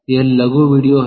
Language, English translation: Hindi, it is the short video